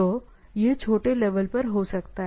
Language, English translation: Hindi, So, it can be at a small scale, right